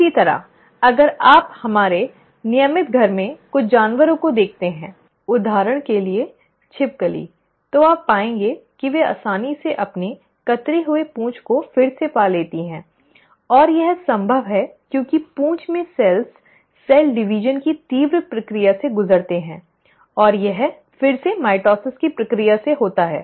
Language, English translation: Hindi, Similarly, if you look at some animals in our regular household, for example lizard, you will find that they easily regrow their clipped tails; and that is possible because the cells in the tail undergo the rapid process of cell division and that is again through the process of mitosis